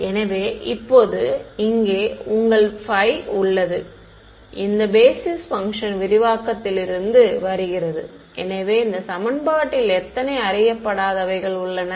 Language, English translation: Tamil, So, now, your phi over here is coming from this expansion in the basis function so, how many unknowns in this equation